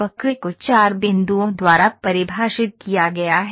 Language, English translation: Hindi, The curve is defined by 4 points